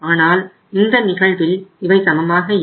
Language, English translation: Tamil, But in this case they are not equal